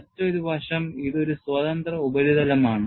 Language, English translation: Malayalam, And another aspect is, this is a free surface